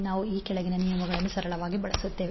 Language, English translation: Kannada, We will simply use the following rules